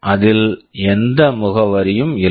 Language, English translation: Tamil, It does not contain any address